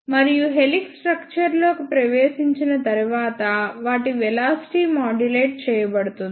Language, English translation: Telugu, And after entering into the helix structure, their velocity is modulated